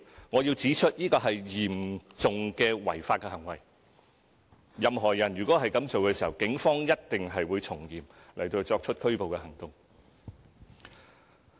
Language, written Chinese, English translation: Cantonese, 我要指出，這是嚴重的違法行為，任何人如果這樣做，警方一定會從嚴拘捕。, I must point out that this is a serious breach of the law and if anyone attempts to do so the Police will strictly enforce the law and arrest them